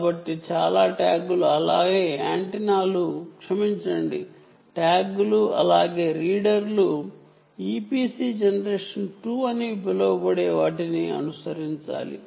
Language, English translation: Telugu, ok, so most of the tags, as well as the antennas sorry, ah tags as well as the readers, have to follow what is known as the e p c generation two